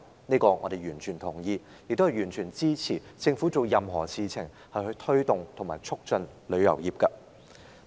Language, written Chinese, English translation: Cantonese, 此外，我們完全支持政府做任何事情促進旅遊業發展。, We fully support all the efforts made by the Government to promote the development of the travel industry